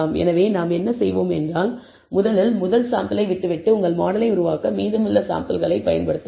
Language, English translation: Tamil, So, what we will do is you first leave out the first sample and use the remaining samples for building your model